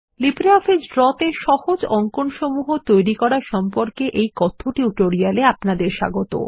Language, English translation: Bengali, Welcome to the Spoken Tutorial on How to Create Simple Drawings in LibreOffice Draw